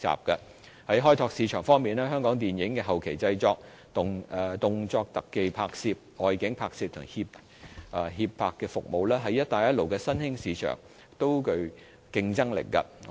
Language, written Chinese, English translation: Cantonese, 在開拓市場方面，香港電影的後期製作、動作特技拍攝、外景拍攝和協拍服務，在"一帶一路"的新興市場也具競爭力。, Regarding market development for the film industry Hong Kong enjoys a comparative edge in respect of post - production stunt shooting location filming and production facilitation services to the emerging markets along the Belt and Road